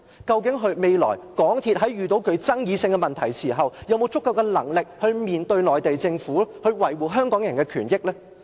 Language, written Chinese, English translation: Cantonese, 究竟未來港鐵公司遇到具爭議性的問題時，是否有足夠能力去面對內地政府，維護香港人的權益呢？, Does it have the skills needed to deal with the Mainland Government and protect Hong Kong peoples interest in case it meets controversial issues in the future?